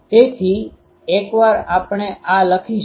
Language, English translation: Gujarati, So, once we write this